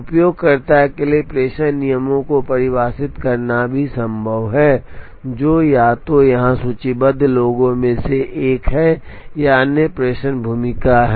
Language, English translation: Hindi, It is also possible for the user to define a dispatching rule, which is either one of those listed here or another dispatching role